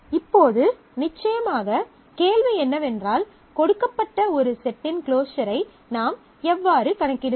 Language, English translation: Tamil, Now, the question certainly is given a set how do I compute this closure of a set